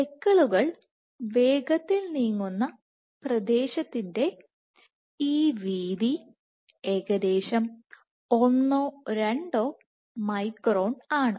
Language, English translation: Malayalam, So, this width of the region where the speckles are fast moving is approximately one to two micron in width